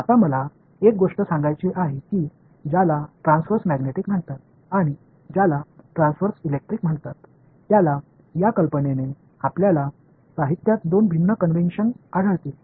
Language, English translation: Marathi, Now, one thing I want to caution you this idea of what is called transverse magnetic and what is called transverse electric, you will find two different conventions in the literature